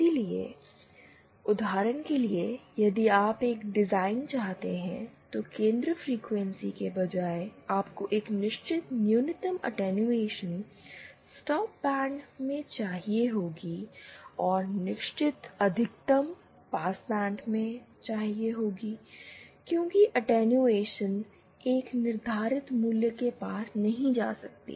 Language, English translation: Hindi, So, for example if you want a design, rather than the centre frequency, you want a certain minimum attenuation in the stop band and certain maximum attenuation in the passband, that is your attenuation cannot exceed that value